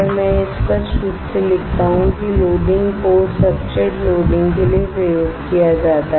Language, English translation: Hindi, Let me write it clearly loading port is used for loading substrates